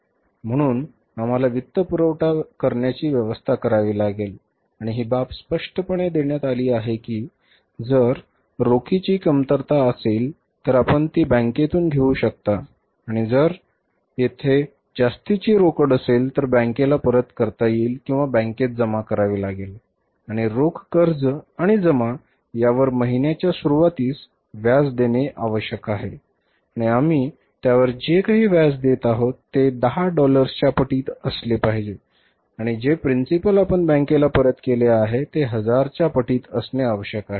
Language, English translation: Marathi, So, we will have to make the financing arrangement and it is clearly given in the case that if there is a shortage of the cash we can borrow it from the bank and if there is a excess of the cash that can be returned back to the bank or deposited in the bank and borrowing and deposit of the cash has to be in the beginning of month and whatever the say interest we pay on that that has to be in the multiple of $10 and whatever the principal we return back to the bank that has to be in the multiple of 1000